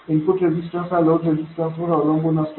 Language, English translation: Marathi, The input resistance can depend on the load resistance